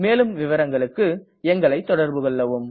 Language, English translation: Tamil, Please contact us for more details